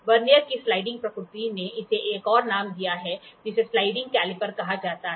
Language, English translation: Hindi, The sliding nature of the Vernier has given it another name called as sliding caliper